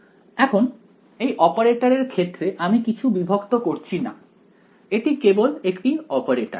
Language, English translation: Bengali, Now, in terms of an operator right now we are not discretizing anything it is just an operator ok